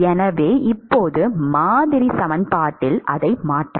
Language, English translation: Tamil, So now, we can substitute that in the model equation